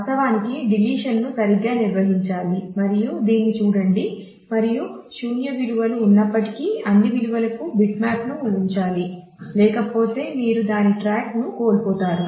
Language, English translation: Telugu, Of course, the deletion has to be handled properly look at this and should keep bitmap for all values even if there are null values you must keep that otherwise you will lose track of that